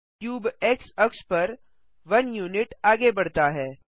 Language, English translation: Hindi, The cube moves forward by 1 unit on the x axis